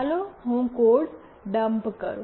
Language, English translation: Gujarati, Let me dump the code